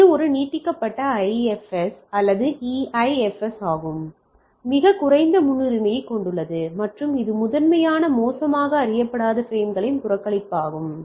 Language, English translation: Tamil, So, that is a extended IFS or EIFS which has a much lower priority and it is primarily to report bad unknown frames